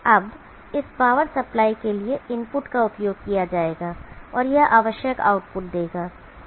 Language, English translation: Hindi, Now that will be using input to this power supply and that will give the necessary output